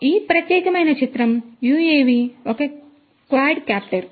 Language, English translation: Telugu, So, this particular image UAV is a quadcopter